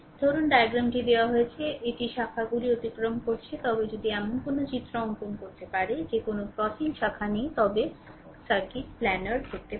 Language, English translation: Bengali, Suppose diagram is given it is crossing branches, but you can if you can redraw such that there is no crossing branches, then circuit may be planar right